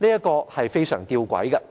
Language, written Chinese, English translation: Cantonese, 這是非常弔詭的。, This is really something paradoxical